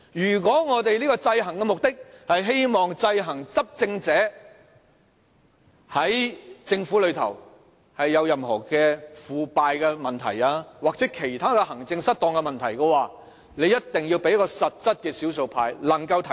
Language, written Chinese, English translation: Cantonese, 如果我們的制衡目的是希望制衡執政者，在政府中有任何腐敗的問題或其他行政失當的問題，議會一定要賦予少數派實際的權力，讓少數派能夠提出。, If we are to check those in power and uncover government corruption and maladministration the minority in the legislature must be vested with certain real powers to make such proposals